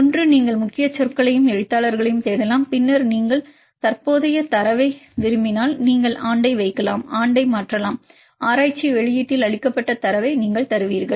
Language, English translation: Tamil, One also you can search with the keywords and authors and then if you want a current data you can put the year you change the year you will give the data which are reported in the literature